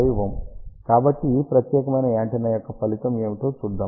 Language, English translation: Telugu, Let us see the result of this particular antenna